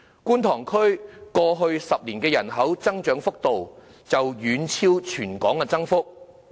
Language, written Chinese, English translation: Cantonese, 觀塘區過去10年的人口增長幅度，已經遠超全港增幅。, The rate of population increase of the Kwun Tong District in the past 10 years has way surpassed that of the territory - wide rate